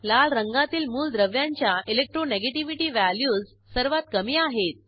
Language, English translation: Marathi, Elements with red color have lowest Electronegativity values